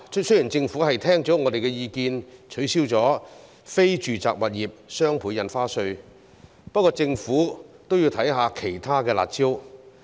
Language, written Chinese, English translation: Cantonese, 雖然政府已聽取我們的意見，取消非住宅物業雙倍印花稅，但政府也要考慮一下其他"辣招"。, The Government has heeded our views and abolished the Doubled Ad Valorem Stamp Duty on non - residential property transactions but it should also consider other harsh measures